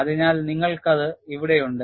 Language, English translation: Malayalam, So, you have it here